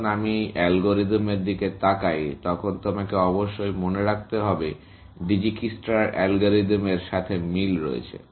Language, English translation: Bengali, When I look at this algorithm, you must keep in mind, that the similarity with Dijikistra’s algorithm, essentially